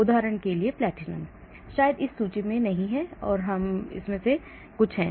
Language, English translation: Hindi, like for example platinum maybe that is not in this list, only some of them